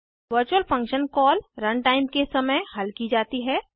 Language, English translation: Hindi, Virtual function call is resolved at run time